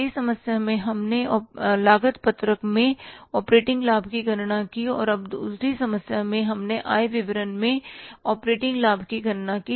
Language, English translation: Hindi, In the first problem we calculated the operating profit in the cost sheet and now second problem we calculated the operating profit in the income statement